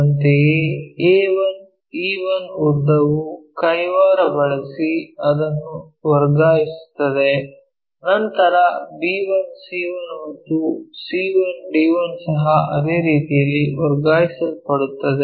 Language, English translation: Kannada, Similarly, a 1 e 1 length transfer it by using compass, then b 1 c 1 and c 1 d 1 also transferred in the same way